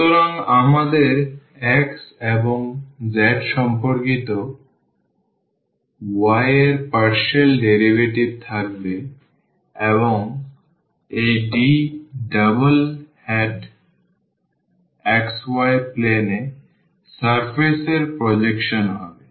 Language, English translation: Bengali, So, we will have the partial derivatives of y with respect to x and z and then dx d and here this D double hat will be the projection of the surface in xz plane